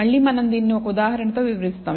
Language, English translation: Telugu, Again, we will illustrate this with an example